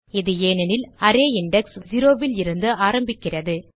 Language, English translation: Tamil, This is because array index starts from 0